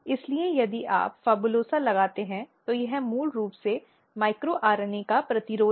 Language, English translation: Hindi, So, if you put PHABULOSA this is basically resistance to the micro RNA